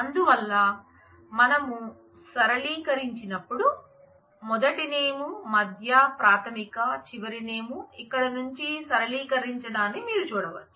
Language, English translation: Telugu, So, here when we flatten out we will have first name, middle, initial, last name as you can see these flattened out from here